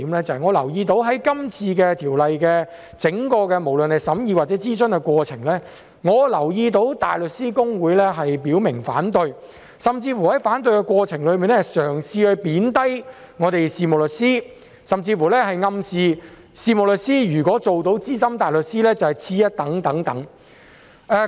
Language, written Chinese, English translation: Cantonese, 在這次《條例草案》的整項審議或諮詢過程中，我留意到大律師公會表明反對，並在反對期間嘗試貶低事務律師，甚至暗示事務律師如果做到資深大律師便是次一等。, During the whole process of scrutiny or consultation of the Bill I noticed that the Bar Association had clearly expressed its opposition . In the course of its opposition it tried to belittle solicitors and even implied that if solicitors could work as SC they would be just second best